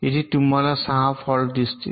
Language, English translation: Marathi, you see there six faults here